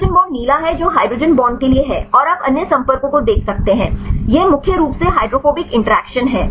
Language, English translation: Hindi, Hydrogen bond the blue one is for the hydrogen bonds and you can see the other contacts right this mainly the hydrophobic interactions right